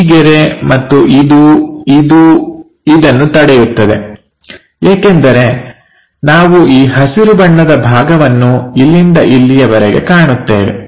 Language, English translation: Kannada, So, this line, and this, it stops it because we start seeing this green portion from here to there